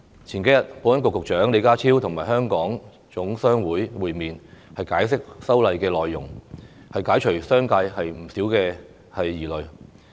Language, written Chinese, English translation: Cantonese, 數天前，保安局局長李家超與香港總商會會面，解釋修例內容，釋除了商界不少疑慮。, A few days ago Secretary for Security John LEE met with the Hong Kong General Chamber of Commerce to explain the amendments and address the concerns of the business sector